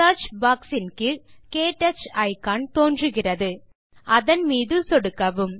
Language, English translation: Tamil, The KTouch icon appears beneath the Search box.Click on it